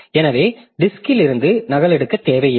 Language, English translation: Tamil, So, we don't need to copy from the disk